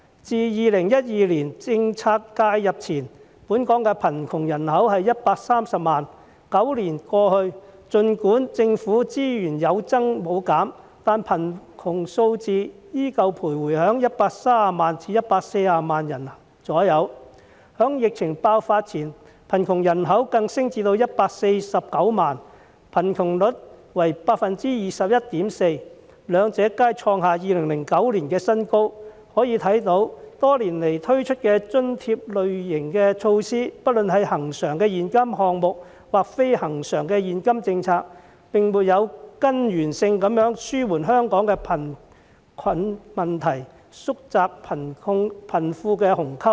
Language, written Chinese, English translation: Cantonese, 自2012年政策介入前，本港的貧窮人口約為130萬 ，9 年過去，儘管政府資源有增無減，但貧窮數字仍然徘徊在130萬至140萬人左右，在疫情爆發前，貧窮人口更升至149萬人，貧窮率為 21.4%， 兩者皆創下2009年的新高，可見多年來推出的津貼類型的措施，不論是恆常的現金項目或非恆常的現金政策，並沒有根源性地紓緩香港的貧困問題，縮窄貧富的鴻溝。, Since 2012 the poor population in Hong Kong before policy intervention was around 1.3 million and nine years later the figure still hovers between some 1.3 million to 1.4 million despite the increase in the allocation of resources by the Government . Prior to the pandemic outbreak the poor population even rose to 1.49 million with the poverty rate standing at 21.4 % both being record highs since 2009 . This shows that subsidy measures introduced over the years be it recurrent cash measures or non - recurrent ones have failed to alleviate Hong Kongs poverty problem at source nor narrow the gulf between the rich and the poor